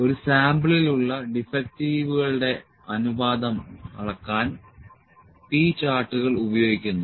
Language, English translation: Malayalam, P charts are used to measure the proportion that is defective in a sample